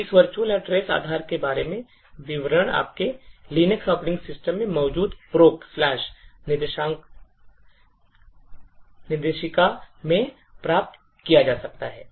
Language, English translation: Hindi, So, details about this virtual address base can be obtained from the proc directory present in your Linux operating systems